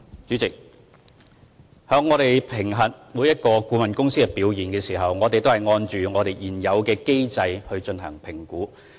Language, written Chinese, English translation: Cantonese, 主席，在評核每間顧問公司的表現時，我們按照現有機制進行評估。, President we evaluate the performance of each consultant under the existing mechanism